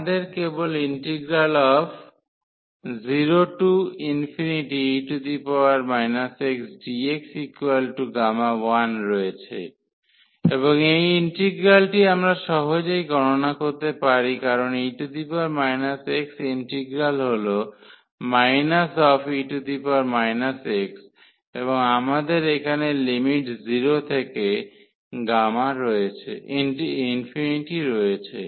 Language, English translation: Bengali, So, we have simply the integral 0 to infinity e power minus x dx that a gamma 1 and this integral we can evaluate easily because exponential minus x integral is minus exponential x and we have the limit here 0 to infinity